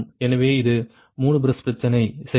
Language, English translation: Tamil, so this is three bus problem, right